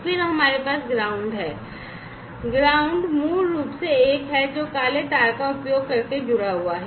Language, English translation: Hindi, And then, we have the ground this ground is basically the one, which is connected using the black wire